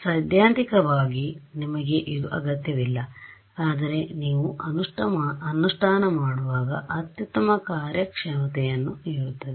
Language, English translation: Kannada, Theoretically you need do not need this, but when you get down to implementation this is what gives the best performance